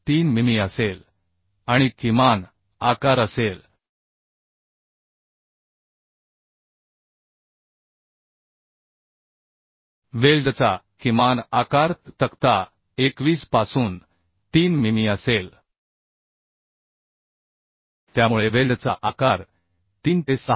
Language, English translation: Marathi, 3 mm and minimum size will be minimum size of the weld will be 3 mm from table 21 So weld size is varying from 3 to 6